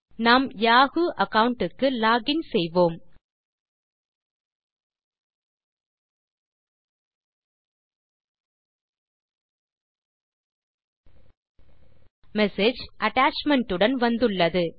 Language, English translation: Tamil, Lets login to our yahoo account We have received the message with the attachment